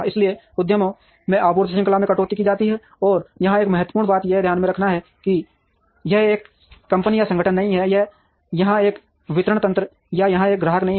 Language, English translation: Hindi, So, supply chain cuts across enterprises, and an important thing to note here that it is not one company or organization here, it is not one distribution mechanism here or one customer here